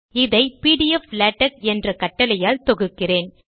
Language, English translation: Tamil, Let us compile it using the command pdflatex